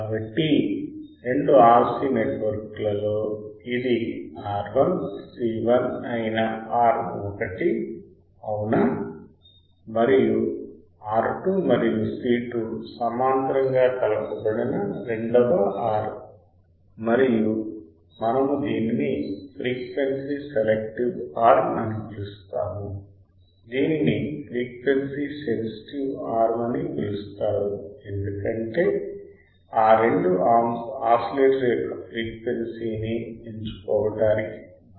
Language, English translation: Telugu, So, the two RC network arm that is R 1 C 1 in series this is the one right and second arm that is R 2 and R 2 and C 2 in parallel you can see this one are called frequency selective arms what is called frequency sensitive arms because that two arms are responsible for selecting the frequency of the oscillator ok